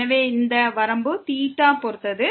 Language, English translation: Tamil, So, this limit depends on theta